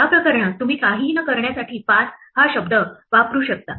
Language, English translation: Marathi, In this case you can use the word pass in order to do nothing